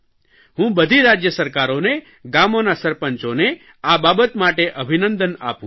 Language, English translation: Gujarati, I congratulate all the State Governments and the village heads